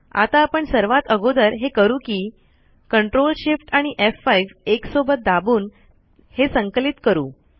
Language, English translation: Marathi, So if I click ctrl, shift, f5 keys simultaneously, what will happen